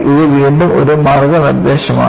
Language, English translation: Malayalam, This is again a guideline